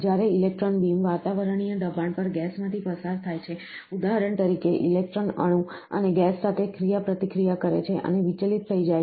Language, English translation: Gujarati, When the electron beam is passing through a gas at atmospheric pressure, for instance, the electron interacts with the atom and gas and gets deflected